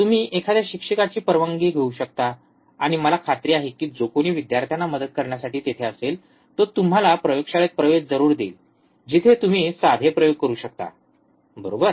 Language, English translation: Marathi, You can take permission from a teacher, and I am sure that anyone who is there to help student will give you an access to the laboratory where you can do the simple experiments, right